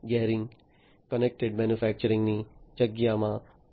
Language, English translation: Gujarati, Gehring is in the space of connected manufacturing